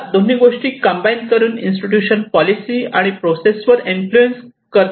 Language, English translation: Marathi, But these two also is influencing the policy institution and process